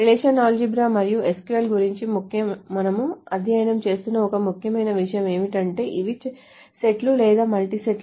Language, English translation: Telugu, So one important thing that we have been studying about relational algebra and SQL is that these are sets or multi sets